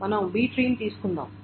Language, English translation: Telugu, So that is a B tree